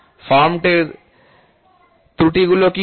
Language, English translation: Bengali, What are the errors of forms